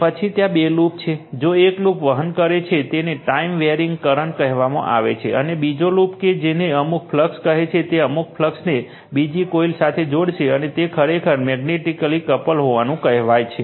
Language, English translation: Gujarati, Then two loops are there, if one loop is carrying that your what you call that time varying current, and another loop that some flux will be it will links some flux to the other coil right, and they are said to be actually magnetically coupled